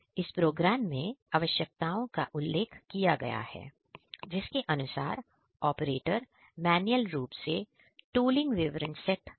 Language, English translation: Hindi, The requirements are mentioned in the program; according to which the operator manually sets the tooling details